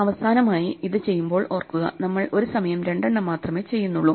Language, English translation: Malayalam, Finally, when we do this remember we only do two at a time